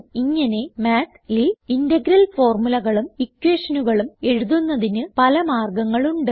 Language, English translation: Malayalam, So these are the ways we can write integral formulae and equations in Math